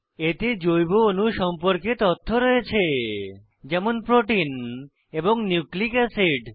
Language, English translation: Bengali, It has information about biomolecules such as proteins and nucleic acids